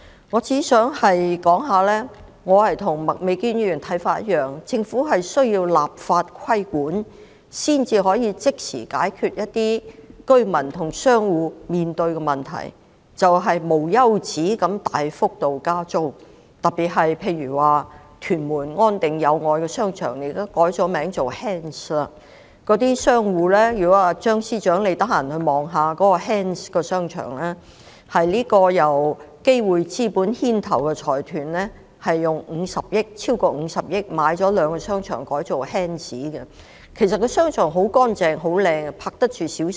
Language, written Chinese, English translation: Cantonese, 我只想說，我的看法與麥美娟議員相同，認為政府需要立法規管才可即時解決居民和商戶面對的一些問題，例如領展無休止地大幅加租，特別是屯門安定商場和友愛商場現已改名為 H.A.N.D.S.， 如果張司長有空前住視察 ，H.A.N.D.S. 商場是由基匯資本牽頭的財團以超過50億元購買兩個商場，並改稱 H.A.N.D.S.。, I just want to say that I share the views of Ms Alice MAK considering that regulation by way of legislation is the only means for the Government to tackle immediately some of the problems faced by the residents and shop operators such as the endless substantial rent hikes imposed by Link REIT . A particular example is On Ting Shopping Centre and Yau Oi Commercial Centre in Tuen Mun which have been renamed as HANDS . now